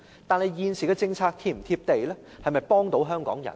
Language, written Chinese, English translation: Cantonese, 但是，現時的政策是否"貼地"，能否幫助香港人呢？, Yet regarding the existing policies are they realistic and can they help the people of Hong Kong?